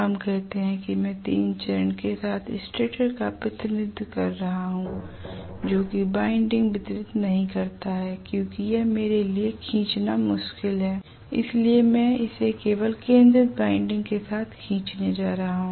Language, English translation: Hindi, Let us say I am representing the stator with 3 phase not distributed winding because it is difficult for me to draw, so I am going to just draw it with concentrated winding